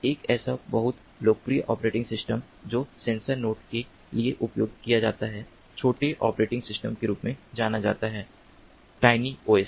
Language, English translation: Hindi, one such very popular operating system that is used for sensor nodes is known as the tiny operating system, tiny os